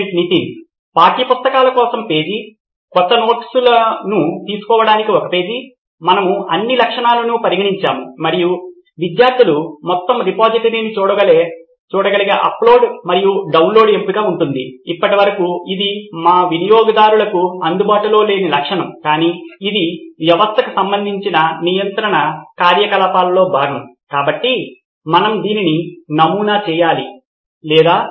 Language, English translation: Telugu, Page for textbooks, a page for taking new notes, we covered all the features and there will be the upload and download option where students can see the entire repository, so far this is essentially a feature that is not available for our users but it is part of the administrative activity related to the system, so do we have to prototype this as well or